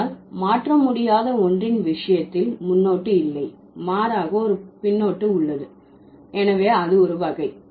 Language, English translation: Tamil, But in case of the inalienable one, there is no prefix, rather there is a suffix